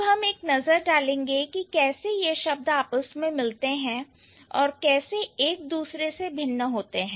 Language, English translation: Hindi, So, now what we are going to do, we are going to take a look how these words resemble and differ from each other